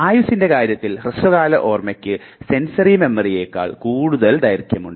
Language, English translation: Malayalam, Now in terms of life short term has much more longer life compared to the sensory memory